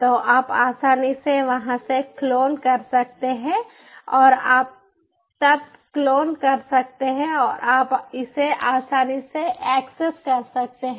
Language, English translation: Hindi, and you can a clone then and you can access it easily